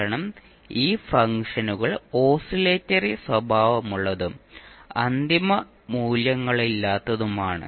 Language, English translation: Malayalam, Because these functions are oscillatory in nature and does not have the final values